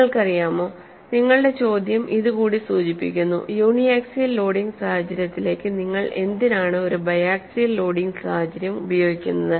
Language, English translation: Malayalam, You know, your question also borders on, why do we use a biaxial loading situation to uniaxial loading situation